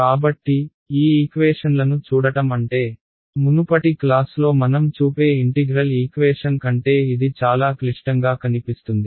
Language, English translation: Telugu, So, it I mean just looking at these equations, this looks much more complicated than the integral equation that we show in the previous class right